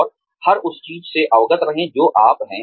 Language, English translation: Hindi, And, be aware of everything, that you are